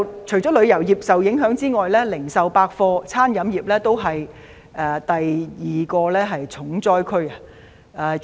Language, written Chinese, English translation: Cantonese, 除了旅遊業受影響之外，零售、百貨、飲食業是第二個"重災區"。, Apart from the tourism industry another hard - hit area covers retail shops department stores and restaurants